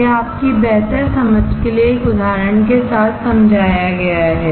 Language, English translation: Hindi, This is explained with an example for your better understanding